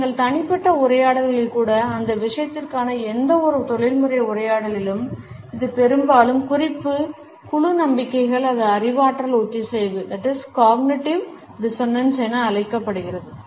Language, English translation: Tamil, In any professional dialogue for that matter even in our personal dialogues, it often results in what is known as reference group beliefs or cognitive dissonance